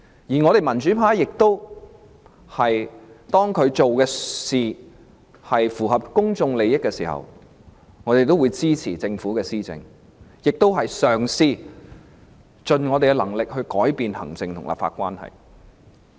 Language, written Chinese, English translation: Cantonese, 至於民主派，當特首所做的工作符合公眾利益，我們便會支持政府施政，我們亦盡力嘗試改變行政和立法關係。, As for the pro - democracy camp when the work of the Chief Executive is in the interest of the public we will support the Governments administration and we will exert our level best to improve the relationship between the executive and the legislature